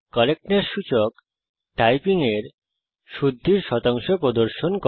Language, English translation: Bengali, The Correctness indicator displays the percentage correctness of typing